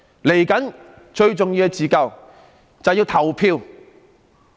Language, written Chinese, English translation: Cantonese, 未來最重要的自救，就是要投票。, As for the future the most essential form of self - help lies in the act of voting